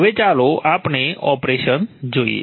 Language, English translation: Gujarati, Now let us see the operation